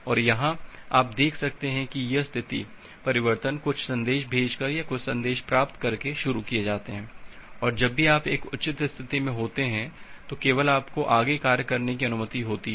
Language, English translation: Hindi, And here you can see that this state transitions are initiated by sending some messages or receiving some messages and whenever you are in a proper state then only you are allowed to do further task